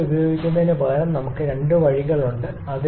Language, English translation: Malayalam, Instead of using something like this, there are two ways we can do